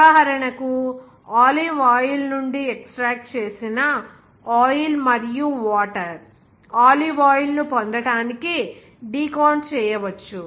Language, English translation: Telugu, Example like: oil and water that is extracted from olive oil may be decanted to obtain the olive oil